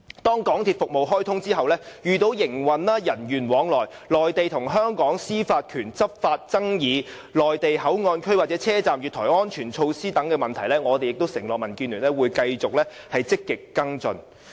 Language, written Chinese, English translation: Cantonese, 若高鐵服務開通後遇到營運、人員往來、內地與香港司法管轄權的執法爭議、內地口岸區或車站月台安全措施等問題，民建聯承諾會繼續積極跟進。, After the commissioning of XRL if there are any disputes arising from the operation interactions between people law enforcement disputes concerning Mainland and Hong Kong jurisdictions as well as safety measures in the Mainland Port Area or station platforms DAB pledges to follow up proactively